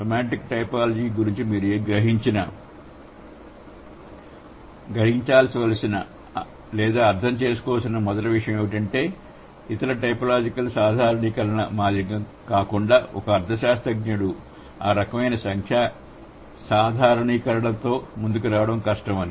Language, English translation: Telugu, So, first thing that you need to realize or you need to understand about semantic typology is that unlike other typological generalizations it's difficult for a semantesis to come up with those kind of numerical generalizations